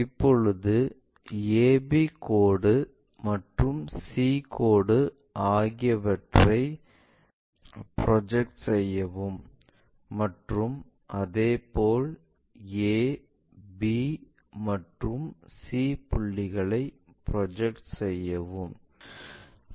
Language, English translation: Tamil, Now, re project this entire a b lines and c line and similarly re project this entire c points a points and b points